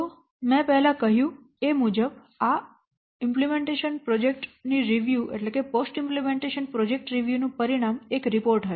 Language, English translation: Gujarati, So then as I have already told you the outcome of this post implementation project review will be a what report